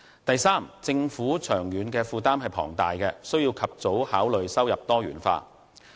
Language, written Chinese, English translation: Cantonese, 第三，政府長遠財政負擔龐大，必須及早考慮收入多元化。, Thirdly given its long - term financial burdens the Government needs to consider early how to diversify its revenue sources